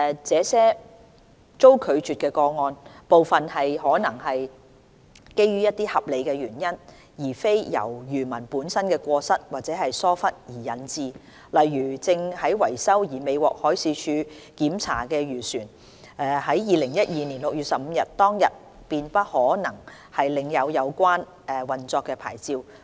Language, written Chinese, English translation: Cantonese, 這些被拒個案，部分有可能是基於一些合理的原因，而非因漁民本身的過失或疏忽導致不符合規定，例如一些正在維修而未獲海事處檢查的漁船，在2012年6月15日當日便不可能領有有效的運作牌照。, Some of these rejected cases may have failed to comply with the requirement due to certain justifiable reasons rather than any fault or negligence on the part of the fishermen . For instance those fishing vessels which underwent repair and could not be inspected by the Marine Department would not possess a valid operating licence on 15 June 2012